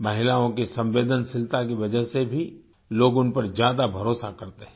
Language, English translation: Hindi, Because of the sensitivity in women, people tend to trust them more